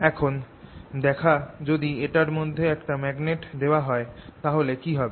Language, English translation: Bengali, let us now see what happens if i put a magnet through this